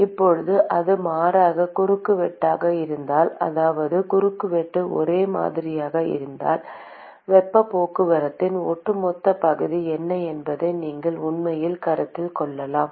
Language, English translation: Tamil, Now if it is non varying cross section that is if the cross section is same, then you could actually consider what is the overall area of heat transport